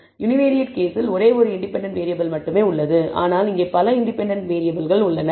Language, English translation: Tamil, In the univariate case there is only one independent variable, but here there are several independent variables